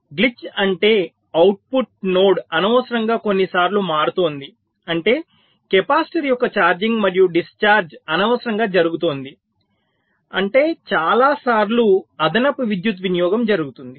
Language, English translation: Telugu, glitch means the output node is changing unnecessarily a few times, which means charging and discharging of the capacitor is taking place unnecessarily that many times, which means, ah, extra power consumption